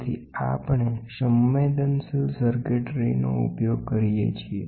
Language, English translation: Gujarati, So, we use sensitive circuitry